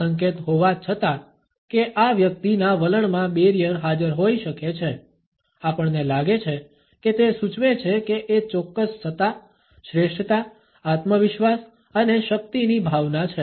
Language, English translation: Gujarati, Despite this indication that a barrier may be present in the attitude of this individual we find that it suggest is certain authority is sense of superiority confidence and power